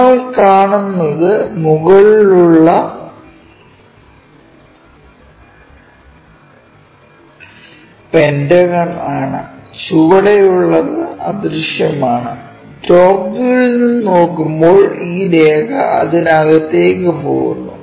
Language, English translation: Malayalam, What we will see is the top pentagon; bottom one is anyway invisible and the line because we are looking from top view this line goes inside of that